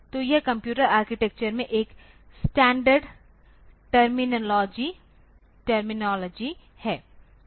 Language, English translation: Hindi, So, this is a standard terminology in computer architecture